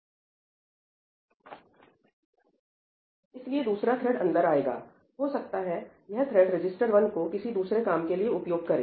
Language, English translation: Hindi, So, another thread comes in, maybe that thread is using register 1 for some other purpose